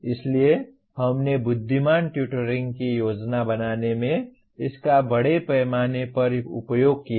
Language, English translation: Hindi, So this we have used it extensively in planning intelligent tutoring